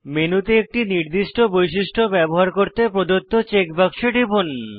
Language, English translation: Bengali, etc To use a particular feature on the menu, click on the check box provided